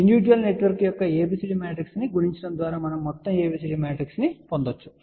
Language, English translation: Telugu, By multiplying ABCD matrix of individual network we can find overall ABCD matrix